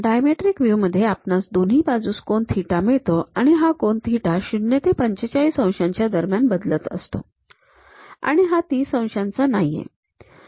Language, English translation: Marathi, In the dimetric view we have theta angle on both sides and this theta angle varies in between 0 to 45 degrees and this is not 30 degrees